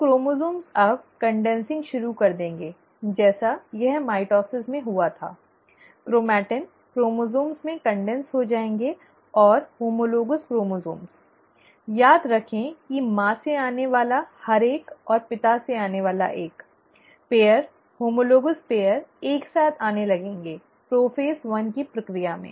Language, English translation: Hindi, So the chromosomes will start now condensing, as it happened in mitosis, the chromatin will condense into chromosomes, and the homologous chromosomes, remember one each coming from mother and one from the father, the pair, the homologous pairs will start coming together during the process of prophase one